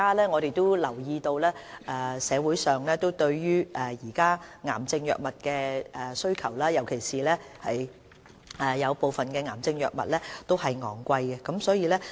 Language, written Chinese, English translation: Cantonese, 我們也留意到現時社會對癌症藥物的需求，而部分癌症藥物卻費用高昂。, We have also noticed the present demand for cancer drugs by members of the public and some of the drugs are very expensive